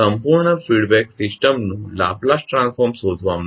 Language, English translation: Gujarati, To find the Laplace transform of the complete feedback system